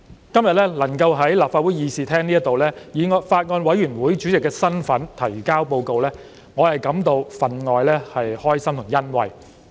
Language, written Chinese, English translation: Cantonese, 今天能夠在立法會議事廳以法案委員會主席的身份提交報告，我感到分外高興和欣慰。, I am particularly pleased and gratified to be able to present the Report in the Chamber today in my capacity as Chairman of the Bills Committee